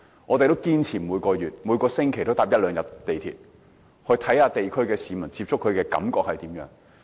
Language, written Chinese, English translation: Cantonese, 我們堅持每個月、每星期都乘搭一兩天港鐵，以接觸地區市民，了解他們的感受。, We have kept taking MTR at least twice a week in order to get in touch with local residents and understand their feelings